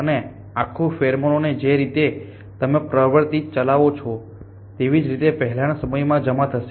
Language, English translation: Gujarati, And the whole pheromone that will deposit in earlier times as the tendency you operate